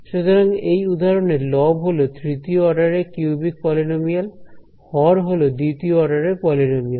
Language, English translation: Bengali, So, this example over here the numerator is a polynomial of order 3 cubic polynomial, denominator is a polynomial order 2